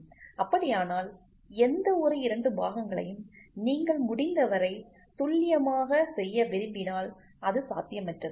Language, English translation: Tamil, So, if that is the case then any two parts produced if you want to make it as accurate as possible they it is next to impossible